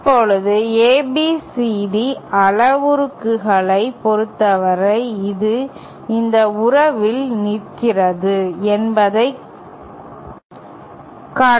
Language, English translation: Tamil, Now, this it can be shown that for in terms of the ABCD parameters, this boils down to this relationship